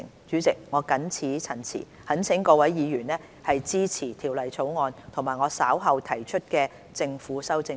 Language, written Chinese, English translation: Cantonese, 主席，我謹此陳辭，懇請各位議員支持《條例草案》及我稍後提出的政府修正案。, President with these remarks I implore Members to support the Bill and the Governments amendments that I will propose later